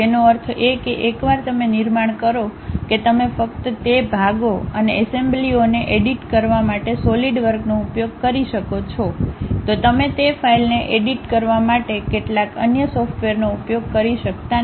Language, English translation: Gujarati, That means, once you construct that you can use only Solidworks to edit that parts and assemblies, you cannot use some other software to edit that file